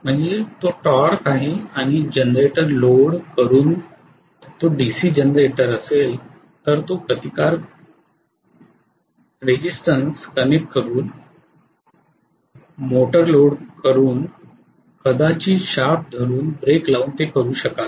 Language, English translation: Marathi, So it is torque multiplied by speed and loading a generator you will do it by connecting a resistance if it is a DC generator, loading a motor you will do it by maybe holding the shaft, putting a break, right